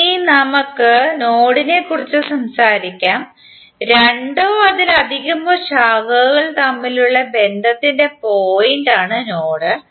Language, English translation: Malayalam, Now let us talk about node, node is the point of connection between two or more branches